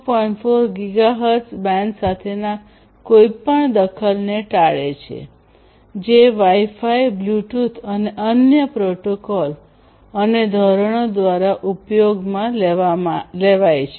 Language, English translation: Gujarati, 4 Gigahertz band that is used by Wi Fi, Bluetooth and different other protocols and standards